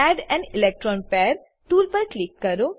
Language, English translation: Gujarati, Click on Add an electron pair tool